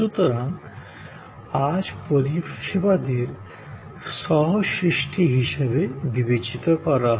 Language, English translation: Bengali, So, today services are thought of as an act of co creation